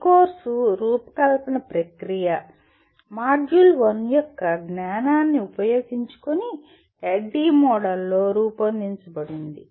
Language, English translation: Telugu, This course design process assumes the knowledge of module 1 and the course is designed in the framework of ADDIE Model